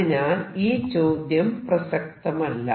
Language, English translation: Malayalam, So, this question does not really arise